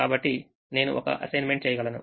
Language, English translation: Telugu, so there is an assignment here